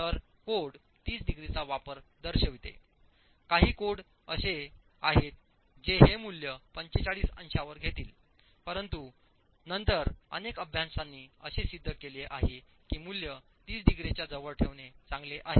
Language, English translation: Marathi, There are some codes, some studies that would peg this value at 45 degrees, but then several studies have shown that it's better to take a value closer to 30 degrees